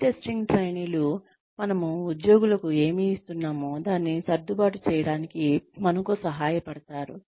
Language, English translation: Telugu, Pre testing trainees will help us tweak, whatever we are giving to the employees